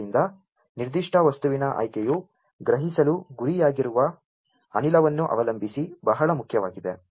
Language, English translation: Kannada, So, it is a choice of the particular material is very important depending on the gas that is being targeted to be sensed